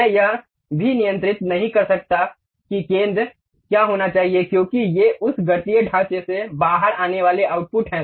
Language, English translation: Hindi, I cannot even control what should be the center, because these are the outputs supposed to come out from that mathematical framework